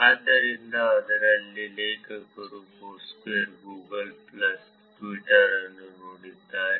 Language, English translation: Kannada, So, in this authors looked at Foursquare, Google plus and Twitter